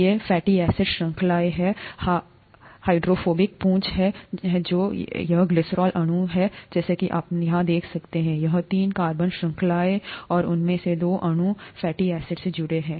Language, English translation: Hindi, These are the fatty acid chains, the hydro, hydrophilic, hydrophobic, it should be hydrophobic here; hydrophobic tails that are here and this is the glycerol molecule as you can see here, the three carbon chain here and two of those O molecules are attached to the fatty acid